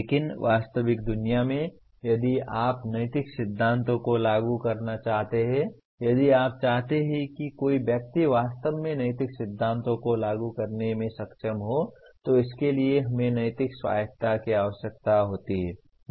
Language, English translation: Hindi, But in real world, if you want to apply ethical principles, if you want someone to really be able to apply ethical principles it requires what we call moral autonomy